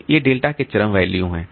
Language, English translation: Hindi, So, these are the extreme values of delta